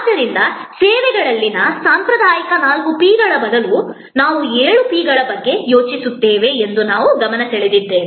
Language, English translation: Kannada, So, we just pointed out that instead of the traditional four P’s in services, we think of seven P’s